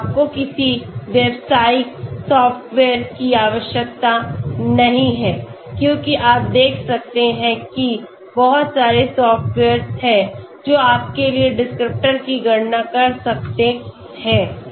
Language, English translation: Hindi, Huge number of softwares are there okay, so you do not need any commercial software as you can see so many different softwares are there, which can calculate descriptors for you okay